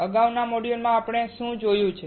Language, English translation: Gujarati, In the earlier modules, what have we seen